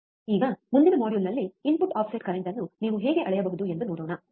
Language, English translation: Kannada, So now, in the next module, let us see how you can measure the input offset current, alright